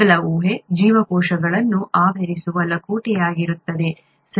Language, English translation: Kannada, The first guess would be the envelope that covers the cells, right